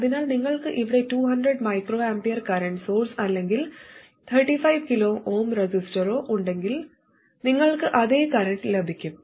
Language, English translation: Malayalam, So whether you had a 200 microampure current source here or a 35 kilo oom resistor, you will get exactly the same current